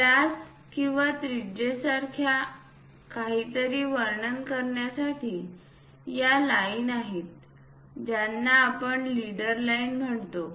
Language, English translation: Marathi, And the extension line for this radius to represent something like diameter or radius that line what we call leader lines